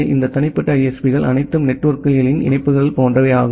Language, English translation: Tamil, So, all this individual ISPs are like that connections of networks